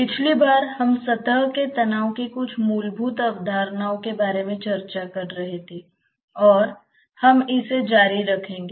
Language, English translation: Hindi, Last time we were discussing as some of the fundamental concepts of surface tension and we will continue with that